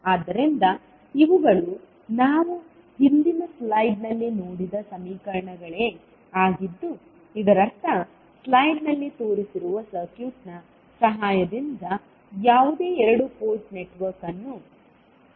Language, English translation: Kannada, So, these are the same equations which we just saw in the previous slide, so that means that any two port network can be equivalently represented with the help of the circuit shown in the slide